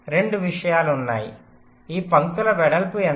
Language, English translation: Telugu, there are two things: what is the width of this lines